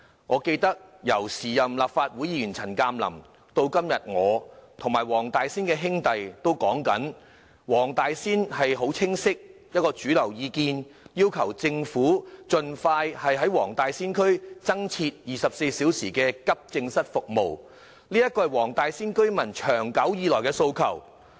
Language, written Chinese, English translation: Cantonese, 我記得，由前任立法會議員陳鑑林，以至今天的我及黃大仙區的"兄弟"也一直提出，黃大仙區的主流意見很清晰，便是要求政府盡快在黃大仙區增設24小時急症室服務，這是區內居民長久以來的訴求。, I recall that CHAN Kam - lam a former Legislative Council Member our brothers in Wong Tai Sin and I have been insisting that the mainstream view of the district is very clear . That is for a long time Wong Tai Sin residents have been calling for the Government to provide additional 24 - hour accident and emergency AE services in Wong Tai Sin expeditiously . Owing to the lack of AE services people requiring such services have to seek treatment in other districts